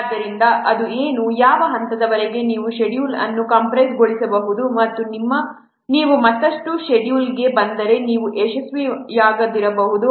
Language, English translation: Kannada, Up to what point you can go on compressing the schedule and if you will come further schedule that, then you may not succeed